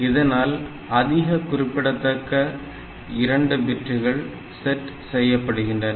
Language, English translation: Tamil, So, the least the most significant 2 bits are to be set